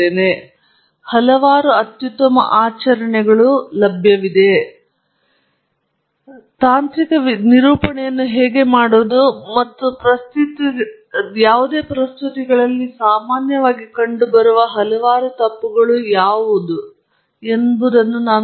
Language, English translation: Kannada, What I am going to do, through this class, is show you what are the several of the best practices, so to speak, in a how to make a technical presentation, and also, several of the mistakes that have commonly seen in presentations